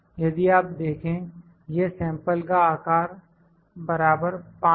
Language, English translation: Hindi, If you see, this is sample size is 5